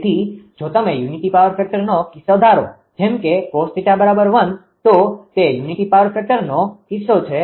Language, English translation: Gujarati, So, if you assume that unity power factor case say ah say a cos theta is equal to 1; that is unity power factor case